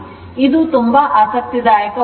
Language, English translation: Kannada, It is very interesting